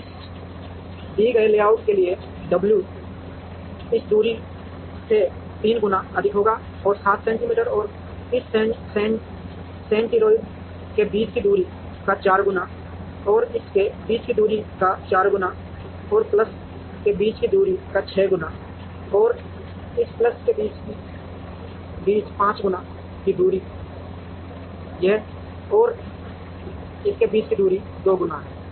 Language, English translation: Hindi, So, the w into d for this given layout will be 3 times this distance plus 7 times the distance between this centroid and this centroid plus 4 times the distance between this and this plus 6 times the distance between this and this plus 5 times distance between this and this and 2 times distance between this and this